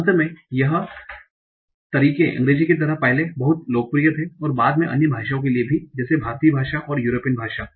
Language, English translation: Hindi, So this was very, very popular earlier for the language like English also and later on for other languages like Indian languages and other European languages